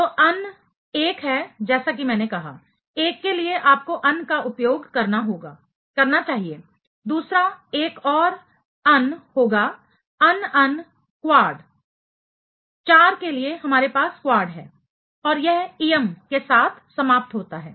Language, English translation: Hindi, Any way un is 1 as I said; for 1 you should use un; second one will be another un; un un quad, for 4 we have quad and it ends with ium